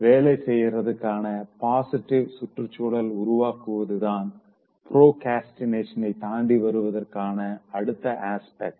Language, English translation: Tamil, Now the next aspect of overcoming procrastination, is to create a positive environment to work